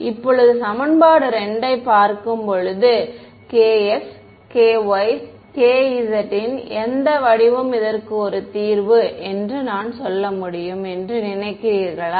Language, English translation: Tamil, Now, looking at equation 2, what form of k x, k y, k z do you think I can say is a solution to this